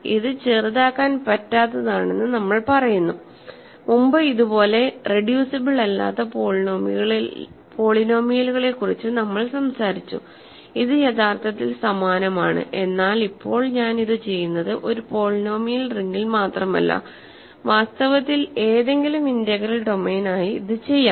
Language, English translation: Malayalam, So, we say that a is irreducible so, we have talked about irreducible polynomials earlier and this is actually same as that, but now I am doing this not just in any polynomial ring, but in fact, for any integral domain, a is irreducible if the following happens